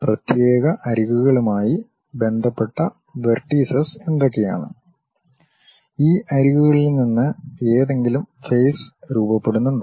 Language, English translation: Malayalam, And what are the vertices associated with particular edges and are there any faces forming from these edges